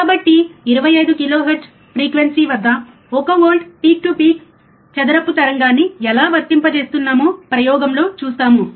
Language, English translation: Telugu, So, we will see in the experiment, how we are applying one volt peak to peak square wave, at a frequency of 25 kilohertz